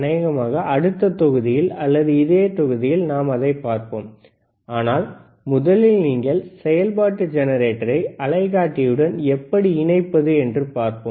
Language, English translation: Tamil, pProbably in the next module or in the same module let us see, but first let us understand how you can connect the function generator to the oscilloscope